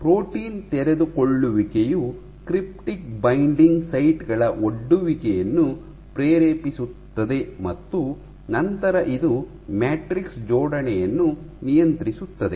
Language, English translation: Kannada, So, you have unfolding, leading to exposure of cryptic binding sites and then this regulates matrix assembly